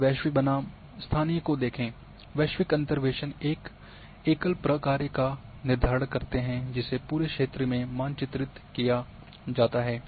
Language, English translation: Hindi, Let’s take global versus local, that the global interpolaters determine a single function which is mapped across the whole region